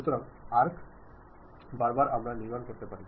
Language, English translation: Bengali, So, along arc also we can construct